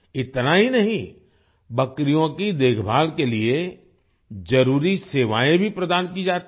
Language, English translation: Hindi, Not only that, necessary services are also provided for the care of goats